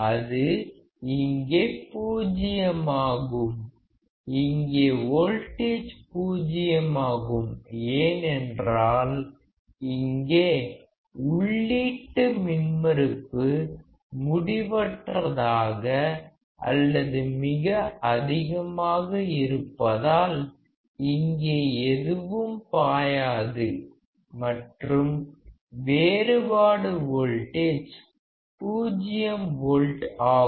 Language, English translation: Tamil, It is 0 here; here the voltage is 0 because nothing will flow here as it is of infinite input impedance or a very high input impedance and the difference voltage is also 0 volt